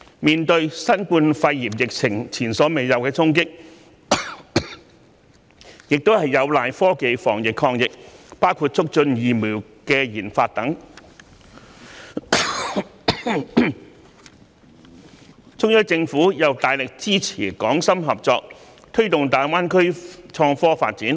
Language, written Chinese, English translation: Cantonese, 面對新冠肺炎疫情前所未有的衝擊，我們有賴科技進行防疫抗疫，包括促進疫苗研發等，中央政府亦因而大力支持港深合作，推動大灣區的創科發展。, In the face of the unprecedented challenges posed by the COVID - 19 epidemic we have to rely on technology in epidemic prevention and control including promoting the research and development of vaccines and this is the reason why the Central Government has strongly supported the cooperation between Hong Kong and Shenzhen in promoting development of innovation and technology in GBA